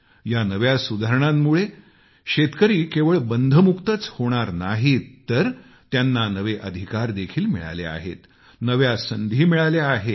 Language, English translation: Marathi, These reforms have not only served to unshackle our farmers but also given them new rights and opportunities